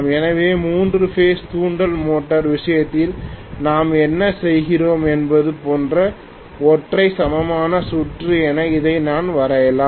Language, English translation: Tamil, So I can simply draw this as a single equivalent circuit, like what we do in the case of a three phase induction motor